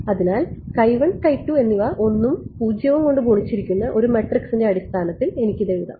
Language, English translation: Malayalam, So, I can write this in terms of some matrix which is composed of 1s and 0s multiplied by x 1 x 2